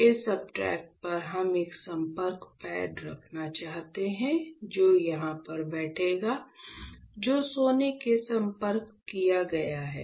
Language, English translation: Hindi, We want to have a contact pad which will sit over here alright, which is gold contacted